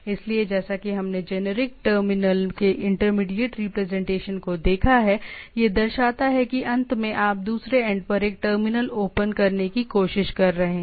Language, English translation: Hindi, So, as we have seen intermediate representation of a generic terminal, so that it shows because telnet at the end you are trying to open up a terminal at the other end right